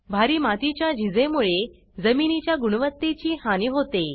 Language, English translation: Marathi, Heavy soil erosion had degraded the land quality